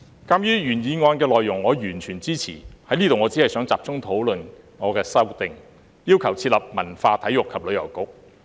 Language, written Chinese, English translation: Cantonese, 鑒於我完全支持原議案的內容，我只想在此集中討論我的修正案，要求設立"文化、體育及旅遊局"。, As I fully support the content of the original motion I only wish to focus on discussing my amendment which calls for the establishment of a Culture Sports and Tourism Bureau